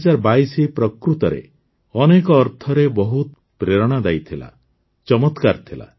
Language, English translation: Odia, 2022 has indeed been very inspiring, wonderful in many ways